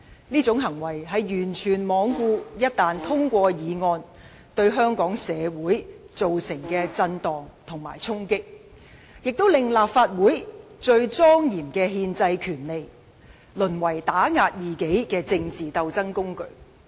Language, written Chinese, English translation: Cantonese, 這種行為完全罔顧議案一旦獲得通過，對香港社會所造成的震盪和衝擊，亦令立法會最莊嚴的憲制權力，淪為打壓異己的政治鬥爭工具。, What they did has completely disregarded the serious shock and impact which Hong Kong society must endure once the motion is passed . What they did has also turned the most solemn constitutional power of the Legislative Council into a political tool to suppress opposing forces